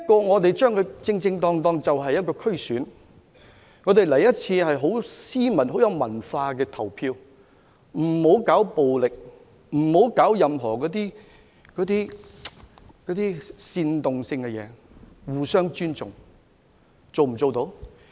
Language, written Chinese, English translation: Cantonese, 我們正正是將之作為一場區議會選舉，很斯文、很有文化的投一次票，而不要搞暴力，不要搞任何煽動，要互相尊重。, In this DC Election we should cast our votes in a very civilized way; let us not resort to violence or incitement and let us respect each other